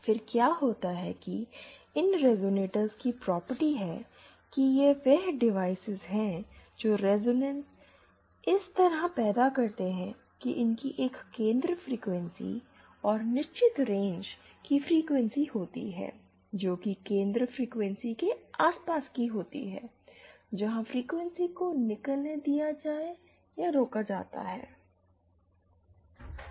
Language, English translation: Hindi, Then what happens is that the property of these resonators, that is the devices which create this resonance is such that they have a centre frequency and a certain range of frequencies are about the Centre frequencies where the frequencies can be passed or stopped